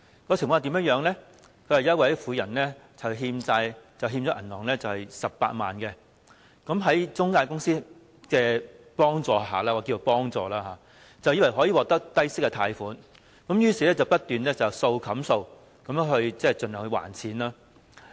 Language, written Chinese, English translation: Cantonese, 報道指有一名婦人欠下銀行18萬元的債務，在中介公司的幫助下——我暫且稱之為幫助——她以為可以獲得低息貸款，結果便不斷要"數冚數"地還款。, It was reported that a woman owed a debt of 180,000 to a bank and she thought she could secure a loan at a low interest rate with the assistance of intermediaries―let me term it as assistance for the time being―but in the end she had to keep taking out more loans to repay the previous ones